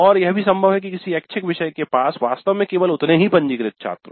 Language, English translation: Hindi, And it is possible that an elective has actually only that minimum of registrants